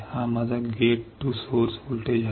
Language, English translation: Marathi, This is my gate to source voltage